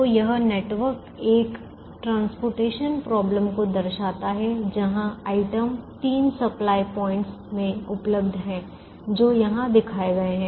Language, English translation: Hindi, so this network shows a transportation problem where the item is available in three supply points which are shown here